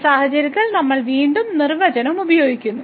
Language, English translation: Malayalam, So, in this case again we use the definition